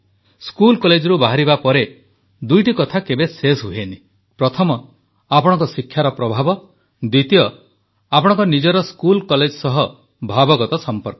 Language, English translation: Odia, After leaving school or college, two things never end one, the influence of your education, and second, your bonding with your school or college